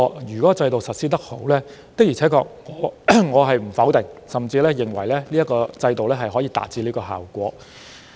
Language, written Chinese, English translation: Cantonese, 如制度實施情況良好，我不會否定這說法，甚至認為它可以達致預期的效果。, I will not disagree with what he said if there is a good implementation of such mechanisms and will even consider them effective in achieving the desired results